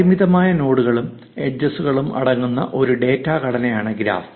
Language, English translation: Malayalam, A graph is a data structure which consists of a finite set of nodes and edges